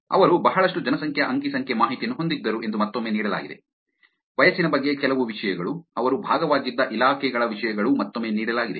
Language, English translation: Kannada, Again given that they had a lot of demographics data here are some things about age group, things about the departments that they were part of